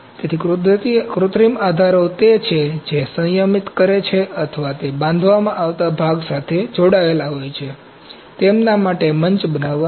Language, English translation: Gujarati, So, synthetic supports are those which restrain or they are attached to the part being built, to build a platform for them